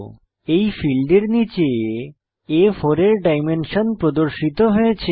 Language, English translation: Bengali, Below this field the dimensions of A4 size are displayed